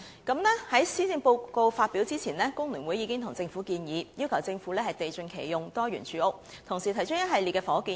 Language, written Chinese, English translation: Cantonese, 在施政報告發表前，工聯會已經向政府提出"地盡其用，多元住屋"的倡議，同時提出一系列房屋建議。, Before the Policy Address was presented FTU had already advocated full utilization of land and diversified housing to the Government with a series of housing proposals